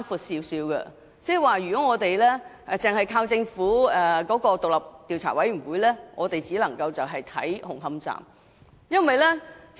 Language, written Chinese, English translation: Cantonese, 換言之，如果只靠政府的調查委員會，我們只會知道紅磡站的調查結果。, In other words if we rely solely on the Governments Commission of Inquiry we will only obtain the findings concerning Hung Hom Station